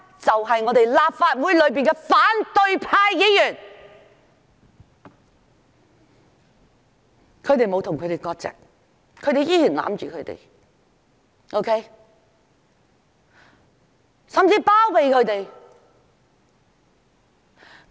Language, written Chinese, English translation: Cantonese, 就是立法會的反對派議員，他們沒有與暴徒割席，仍然維護甚至包庇那些人。, They are the opposition Members of this Council who have not server ties with the rioters and still maintain or even protect those rioters